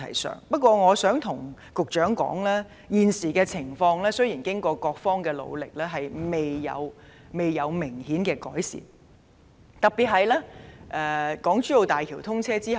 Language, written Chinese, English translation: Cantonese, 我亦想告訴局長，現時雖然得到各方協助，但情況未見明顯改善，特別是在港珠澳大橋通車之後。, I would also like to tell the Secretary that at present despite the assistance from various parties there has been no notable improvement in the situation particularly after the commissioning of the Hong Kong - Zhuhai - Macao Bridge